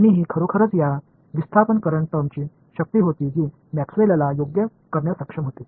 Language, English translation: Marathi, And that was really the power of this displacement current term over here which Maxwell was able to do right